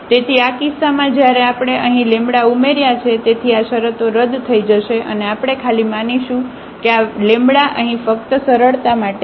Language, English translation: Gujarati, So, in this case when we added here; so, these terms will get canceled and we will get simply assuming that this here is lambda just for simplicity now